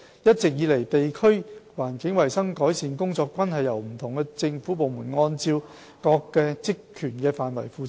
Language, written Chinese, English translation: Cantonese, 一直以來，地區環境衞生改善工作均由不同政府部門按各自的職權範圍負責。, Different government departments have all along been working under their respective purview to improve the environmental hygiene of the districts